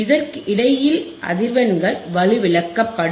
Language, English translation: Tamil, The frequencies between this will be attenuated